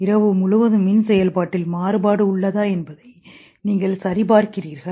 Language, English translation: Tamil, You check in the stages whether there is a variation in electrical activity throughout night